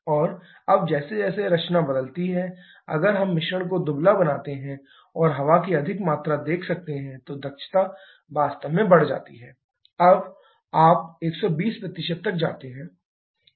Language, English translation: Hindi, And now as the composition changes, if we make the mixture leaner that is and more amount of air you can see the efficiency is actually increased when you gone to 120%